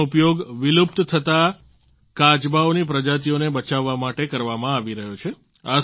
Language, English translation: Gujarati, They are being used to save near extinct species of turtles